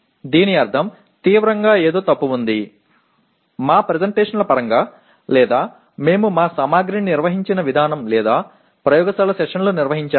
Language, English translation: Telugu, That means there is something seriously wrong either in terms of our presentations or the way we organized our material or we conducted the laboratory sessions, whatever it is